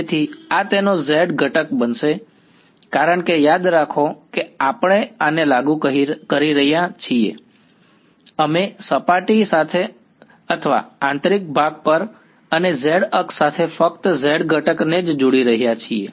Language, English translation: Gujarati, So, this is going to be the z component of it because remember we are enforcing this along we started by say along the surface or on the interior and along the z axis only we are only looking at the z component